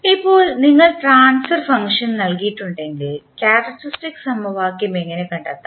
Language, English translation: Malayalam, Now, if you are given the transfer function, how to find the characteristic equation